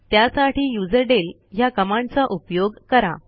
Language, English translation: Marathi, For this we use userdel command